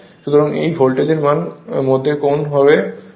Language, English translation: Bengali, So, angle between these voltage and current is 27